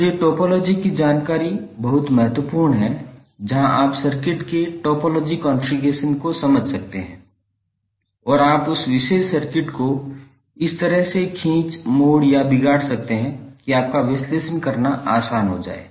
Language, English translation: Hindi, So that is why the topology information is very important where you can understand the topology configuration of the circuit and you can stretch, twist or distort that particular circuit in such a way that it is easier you to analyze